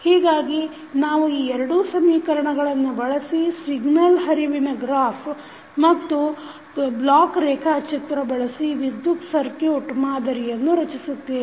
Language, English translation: Kannada, So, we will use these two equations to model the electrical circuit using signal flow graph and the block diagram